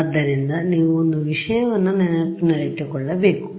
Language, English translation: Kannada, So you should remember one thing